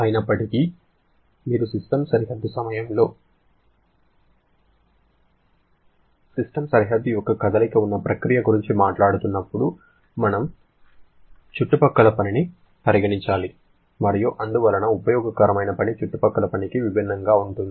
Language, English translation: Telugu, However, when you are talking about a single process during which there is movement of the system boundary, we have to consider the surrounding work and therefore useful work will be different from the surrounding work